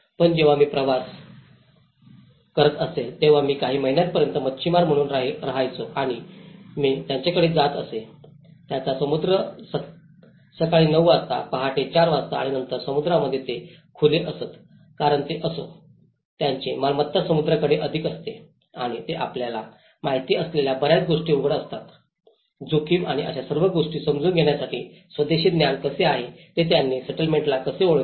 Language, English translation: Marathi, But when I travelled, I used to live as a fisherman for a few months and I used to travel to them, their Sea in the morning nine o clock, morning four o clock and then in the sea they used to open up a lot because they somehow, their belonging goes the essence of belonging is more to the sea and they used to open up many things you know, how they identified the settlement how they have the indigenous knowledge to understand the risk and all these things